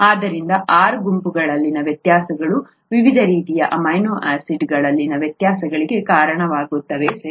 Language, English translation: Kannada, So differences in the R groups are what is, what gives rise to the differences in the various types of amino acids, right